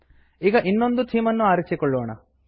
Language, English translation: Kannada, Now let us choose another theme